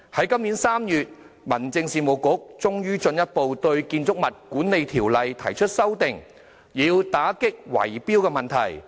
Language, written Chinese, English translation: Cantonese, 今年3月1日，民政事務局終於進一步對《建築物管理條例》提出修訂，以打擊圍標問題。, On 1 March this year the Home Affairs Bureau eventually took a step forward to propose amendments to the Building Management Ordinance BMO to combat bid - rigging